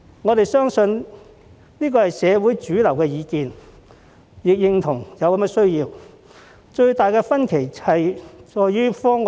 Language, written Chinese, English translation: Cantonese, 我們相信這也是社會的主流意見，亦認同有此需要，最大的分歧在於方案的具體細節。, We believe this is also the mainstream view in society and we agree that there is such a need . The biggest difference lies in the specific details of the proposal